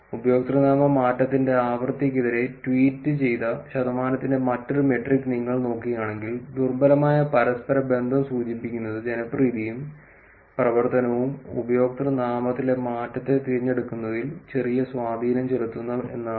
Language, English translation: Malayalam, Also if you look at this another metric which is percentage of tweets posted versus frequency of username change, weak correlation imply that popularity and activity has a little impact on choice of change in username